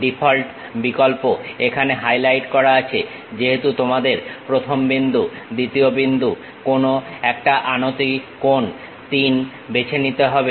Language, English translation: Bengali, The default option here is highlighted as you have to pick first point, second point, some inclination angle 3